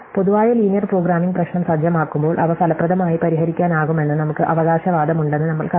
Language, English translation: Malayalam, So, we have found, we have claimed rather, that when we set up general linear programming problem, we can solve them efficiently